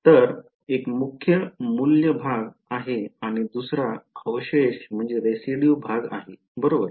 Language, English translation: Marathi, So, one is the principal value part and the second is the residue part right